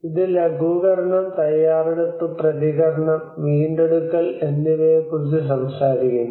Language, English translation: Malayalam, It talks about mitigation, preparedness, response, and recovery